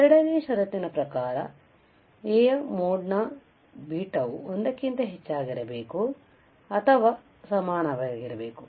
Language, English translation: Kannada, The second condition was that the mode of mod of A into beta should be greater than or equal to 1